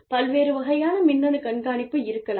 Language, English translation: Tamil, Various types of electronic monitoring, may be there